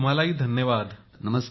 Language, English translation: Marathi, Thank you Modi ji to you too